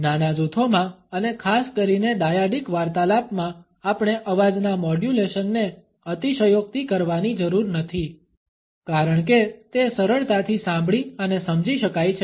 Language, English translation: Gujarati, In the small groups and particularly in dyadic conversations we do not have to exaggerate voice modulations because it could be easily hurt and understood